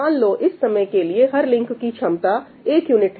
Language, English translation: Hindi, Let us say that, for the time being, that the capacity of each link is one unit